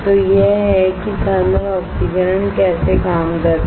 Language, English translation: Hindi, So, this is how the thermal oxidation works